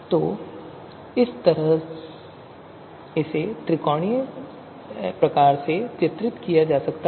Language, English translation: Hindi, So this is how it can be depicted this in a in a in a you know triangular fashion